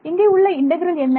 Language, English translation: Tamil, What is that integral